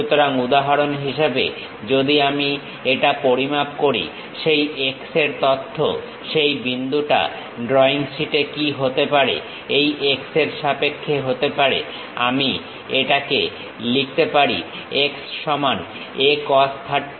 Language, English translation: Bengali, So, for example, that x information if I am measuring it; what might be that point on the drawing sheet, this x can be in terms of, I can write it A cos 30 is equal to x